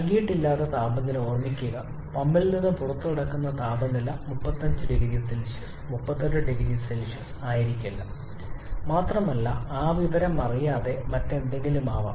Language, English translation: Malayalam, Remember the temperature which is not given, temperature at the exit of the pump may not be 35 0C may not be 38 0C also it can be anything else we do not know that information